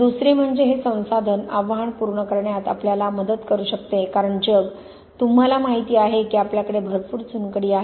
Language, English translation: Marathi, Secondly it can help us meet this resource challenge because the world, you know we have lot of limestone for example